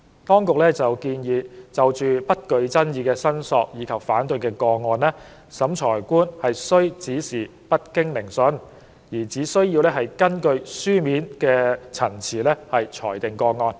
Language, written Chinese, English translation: Cantonese, 當局建議，就不具爭議的申索及反對個案，審裁官須指示不經聆訊，而只根據書面陳詞裁定個案。, The Administration proposes that in respect of incontrovertible claim and objection cases the Revising Officer must direct that the case be determined without a hearing on the basis of written submissions only